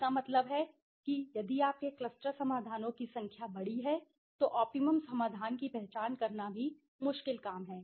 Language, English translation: Hindi, That means if your cluster solutions number of cluster solutions are large in number then also the identifying the optimum solution there is the difficult thing